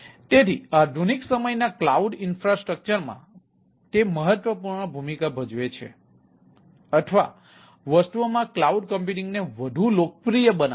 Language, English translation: Gujarati, it plays the important role in in ah modern day, ah cloud infrastructure or making clou cloud ah computing more popular across the things